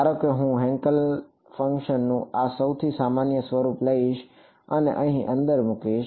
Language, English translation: Gujarati, Supposing I take this most general form of Hankel function and put inside over here